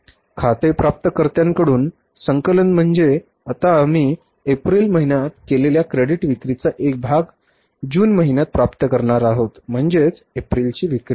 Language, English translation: Marathi, So, collection from accounts receivables, we are going to receive now part of the credit sales which we made in the month of April